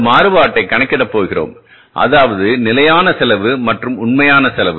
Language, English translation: Tamil, So we are going going to calculate this variance between the two costs that is the standard cost and the actual cost